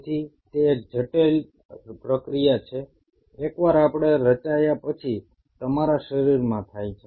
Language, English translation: Gujarati, So it is a complex process which happens in your body once we are formed